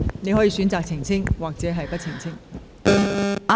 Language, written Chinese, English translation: Cantonese, 你可以選擇是否澄清。, You may choose to elucidate or not